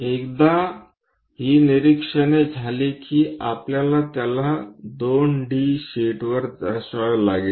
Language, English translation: Marathi, Once these observations are done we have to represent that on the 2 D sheet